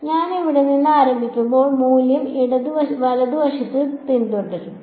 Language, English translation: Malayalam, When I start from here the value will follow along a right